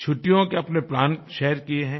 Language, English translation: Hindi, They have shared their vacation plans